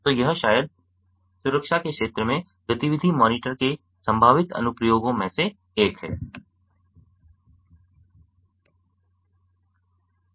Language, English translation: Hindi, so this is maybe one of the potential applications of activity monitors in the domain of security